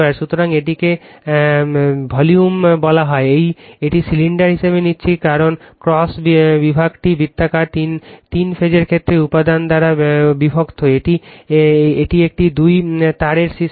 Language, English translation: Bengali, So, this is your what you call the volume, it is taking as cylinder right, because cross section is circular, divided by your material for the three phase case, it is a two wire system